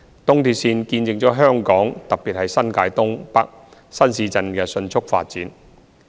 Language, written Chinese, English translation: Cantonese, 東鐵線見證了香港，特別是新界東、北新市鎮的迅速發展。, Indeed ERL bore witness to the rapid development of Hong Kong and in particular the new towns in North and East New Territories